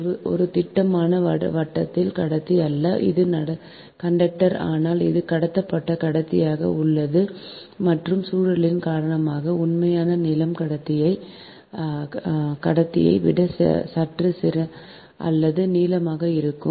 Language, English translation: Tamil, it is not a solid round conductor, it is conductor if it is stranded, stranded conductor right, and because of spiralling that actual length is slightly or longer than the conductor itself right